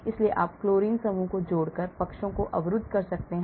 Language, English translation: Hindi, so you can block sides by adding fluorine group